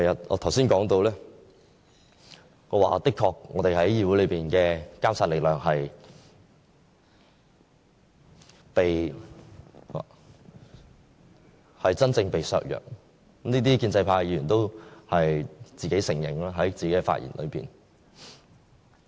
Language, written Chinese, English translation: Cantonese, 我剛才提到，我們在議會內的監察力量的確會被真正削弱，建制派議員亦在自己的發言中承認這點。, I have just mentioned that the amendments will really undermine our monitoring role in the Chamber . The pro - establishment Member also admitted this in his speech